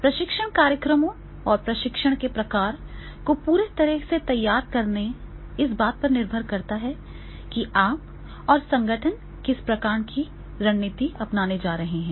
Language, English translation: Hindi, So, business strategies and designing the training programs and the type of training, they are totally depend on that is what type of the strategy you, the organization is going to adopt